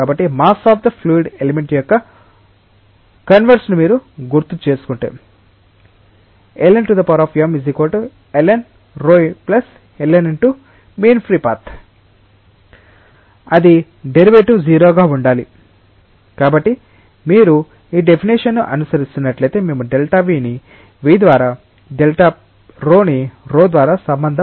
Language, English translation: Telugu, So, if you differentiate keeping in mind that the mass of the fluid element is conserved, so, it is derivative should be 0 therefore, loosely like if you are following this definition, we can relate delta v by v with delta rho by rho